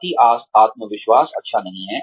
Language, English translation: Hindi, Overconfidence is not good